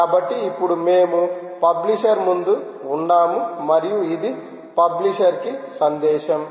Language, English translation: Telugu, alright, so now we are in front of the publisher and this is the message for the publisher